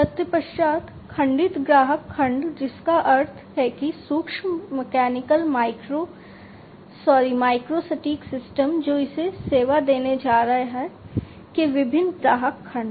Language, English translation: Hindi, Thereafter, the segmented customer segment which means like the micro mechanical micro sorry micro precision systems that it is going to serve, the different customer segments of it